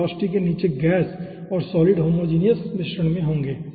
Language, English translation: Hindi, after this velocity the gas and solid will be in homogenous mixture